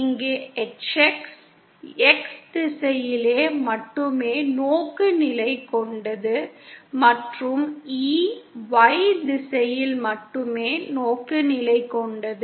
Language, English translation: Tamil, Here HX is oriented only along the X direction and E is oriented only along the Y direction